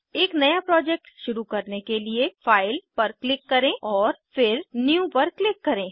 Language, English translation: Hindi, To start a new project, click on File and then click on New